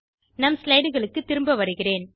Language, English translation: Tamil, Let us go back to the slides